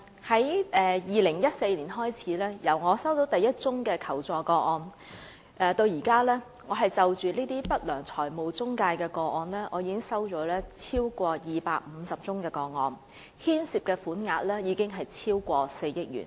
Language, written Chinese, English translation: Cantonese, 自2014年我收到第一宗求助個案至今，我已經收到超過250宗有關不良財務中介的求助個案，涉及款額超過4億元。, Since 2014 when I received the first request for assistance I have received over 250 such requests involving unscrupulous financial intermediaries and the sum involved totals over 400 million